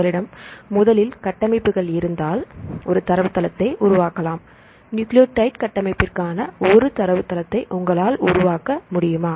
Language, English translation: Tamil, So, if you have the structures right first you can make a database, right for can you one database for nucleotide structure